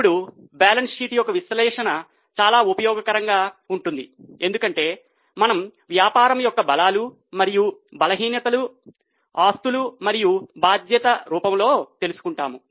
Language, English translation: Telugu, Now, analysis of balance sheet is very much useful because we come to know the strengths and the weaknesses of the business in the form of assets and liabilities